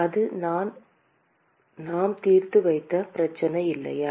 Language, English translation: Tamil, That is the problem that we just solved, right